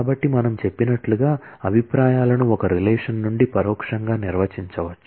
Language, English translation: Telugu, So, as we have said views can be defined indirectly from one relation